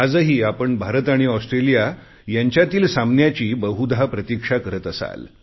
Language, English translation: Marathi, I am sure you are eagerly waiting for the match between India and Australia this evening